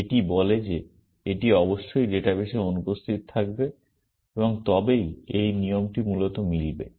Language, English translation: Bengali, This says that it must be absent in the database and only then this rule will match essentially